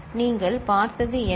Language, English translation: Tamil, So, what you have seen